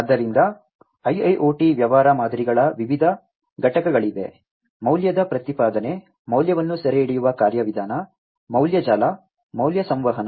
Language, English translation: Kannada, So, there are different components of IIoT business models; value proposition, value capturing mechanism, value network, value communication